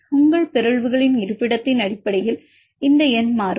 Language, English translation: Tamil, This number will change based on the location of your mutant